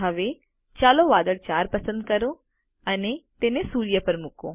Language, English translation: Gujarati, Now, lets select cloud 4 and place it over the sun